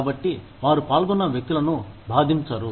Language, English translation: Telugu, So, that they do not hurt, the people involved